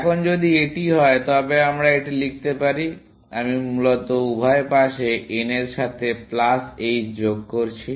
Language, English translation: Bengali, Now, if this is the case we can write this as, I am just adding plus h of n to both sides, essentially